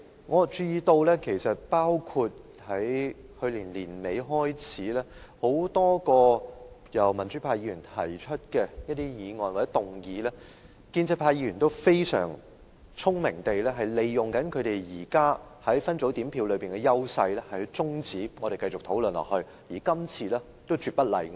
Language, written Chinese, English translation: Cantonese, 我注意到從去年年尾開始，就多項民主派議員提出的議案，建制派議員均非常聰明地利用他們現時在分組點票上的優勢終止我們的討論，今次亦絕不例外。, It has come to my attention that since the end of last year pro - establishment Members have very wisely made use of their existing advantage under the split voting system to terminate the discussions on a number of motions moved by pro - democracy Members and there is no exception to this motion moved today